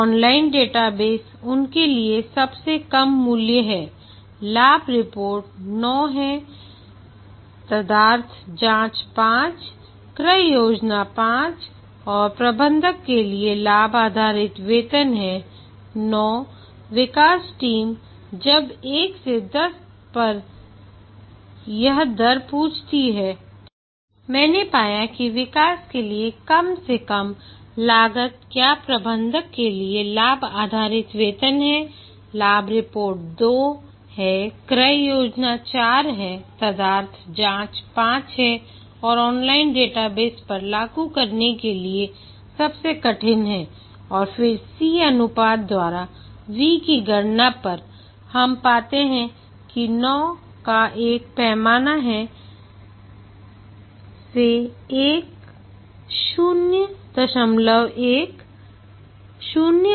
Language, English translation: Hindi, Online database is the lowest value to them profit report is 9 ad hoc inquiry 5 purchasing plan 9 and profit based pay for manager is 9 the development team when asked to rate this on 1 to 10 found that the least cost for development is profit based pay for manager, profit reports is 2, purchasing plans is 4, ad hoc enquiry is 5 and the most difficult to implement at the online database